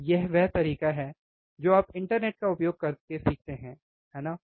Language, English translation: Hindi, And this is the way you go and learn useing internet, right